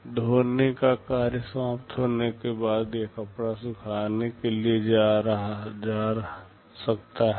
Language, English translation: Hindi, After it is finished with washing, this cloth can go for drying